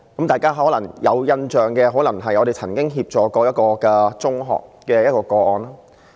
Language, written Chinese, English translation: Cantonese, 大家可能有印象的是我們曾經協助一間中學的個案。, Members may still remember that we offered assistance in a case in a secondary school